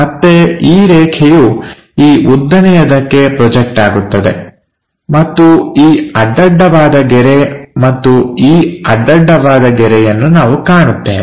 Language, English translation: Kannada, Again this line will be projected onto vertical one, and this horizontal line and this horizontal line, we will see